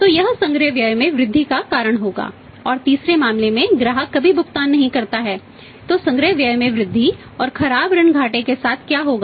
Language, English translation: Hindi, So, that will be causing the increase collection expense and in the third case customer never pays so what will happen increase collection expense plus bad at losses, so, bad debt losses will increase